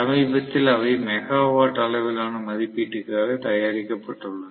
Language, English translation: Tamil, Lately they have been produced for megawatts levels of rating